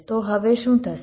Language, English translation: Gujarati, so now what will happen